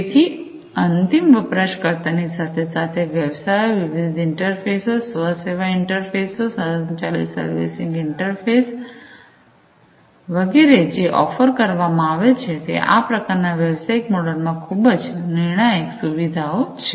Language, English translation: Gujarati, So, between the end users at the end user as well as the businesses, the different interfaces, the self service interfaces, the automated servicing interfaces etcetera, that are offered; these are very crucial features in this kind of business model